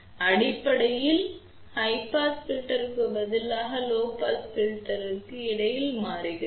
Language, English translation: Tamil, So, basically we are switching between low pass filter response to the high pass filter response